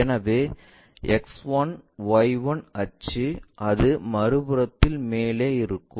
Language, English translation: Tamil, So, about X 1 axis X1Y1 axis it will be above on the other side